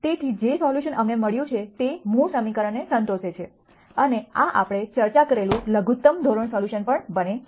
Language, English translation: Gujarati, So, the solution that we found satisfies the original equation and this also turns out to be the minimum norm solution as we discussed